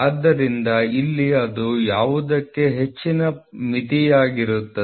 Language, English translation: Kannada, So, here it will be high limit for what